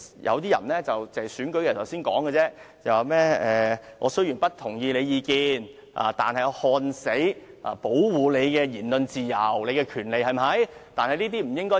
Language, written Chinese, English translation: Cantonese, 有些人選舉的時候才說："我雖然不同意你的意見，但誓死保衞你的言論自由和權利"。, Some people would say the following only at times of election I disapprove of what you say but I will defend to the death your freedom and right to say it